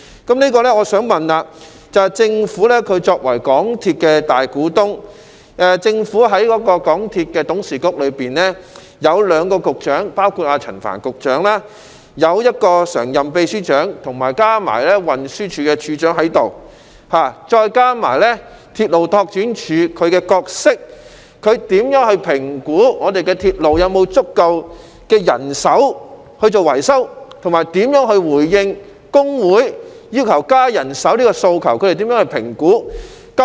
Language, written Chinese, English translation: Cantonese, 就此，我想問政府作為港鐵公司大股東，在港鐵公司董事局中亦有兩名局長，包括陳帆局長，以及一名常任秘書長及運輸署署長，再加上鐵路拓展處的角色，局方如何評估鐵路是否有足夠人手進行維修，以及如何回應工會要求增加人手的訴求？, In this connection as the Government is the major shareholder of MTRCL having two Directors of Bureaux in MTRCLs Board of Directors including Secretary Frank CHAN one permanent secretary and the Commissioner for Transport and taking into account the role of the Railway Development Department may I ask how the Bureau will assess whether there is sufficient manpower for railway maintenance and how it will respond to the unions call for additional manpower?